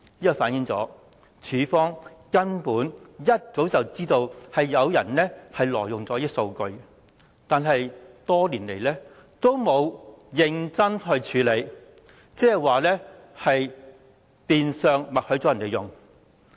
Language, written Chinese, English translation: Cantonese, 這反映當局根本一早便知道有人挪用這些數據，但多年來沒有認真處理，即代表變相默許他們採用數據。, This reflected the authorities already knew a long time ago the illegal use of such data but failed to take serious actions over the years meaning that tacit consent was given de facto to the use of such data